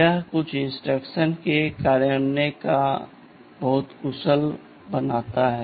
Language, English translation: Hindi, This makes the implementation of some of the instructions very efficient